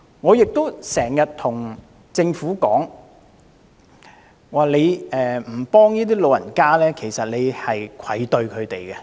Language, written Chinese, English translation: Cantonese, 我經常對政府說，如果不幫助老人家，其實是愧對他們的。, I always tell the Government that if it does not help the elderly it should feel ashamed in the face of them